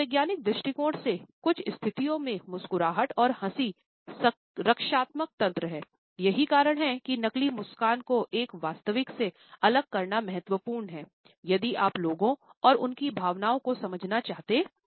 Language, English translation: Hindi, From a psychological point of view, in some situations smile and laughter are defensive mechanisms, it is why distinguishing a fake smile from a genuine one is important if you want to understand people and their emotions